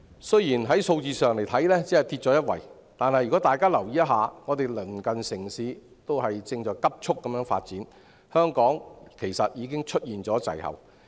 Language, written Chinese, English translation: Cantonese, 雖然數字上只是下跌一位，但如果大家留意一下，便知道鄰近城市正急速發展，香港其實已出現滯後。, Notwithstanding only a drop of one place Members who care to pay attention to it will find out that neighbouring cities are rapidly developing and Hong Kong has indeed dropped into a lag